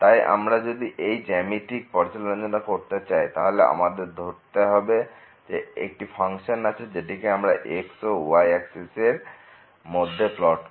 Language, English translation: Bengali, So, if we go through the geometrical interpretation, so, let us consider this is the function which is plotted in this and the here